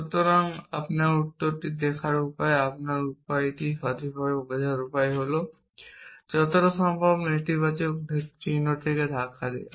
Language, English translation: Bengali, So, the way to look your answer is right your way the way to understand that is to push the negation sign as much is possible